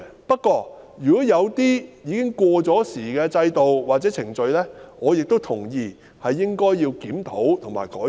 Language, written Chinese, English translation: Cantonese, 不過，如果有一些制度和程序已過時，我亦同意應予檢討及改善。, However if some systems and procedures are out of date I also agree that they should be reviewed and improved